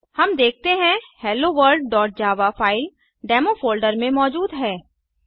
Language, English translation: Hindi, We see HelloWorld.java file present in the Demo folder